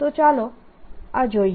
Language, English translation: Gujarati, so let's look at this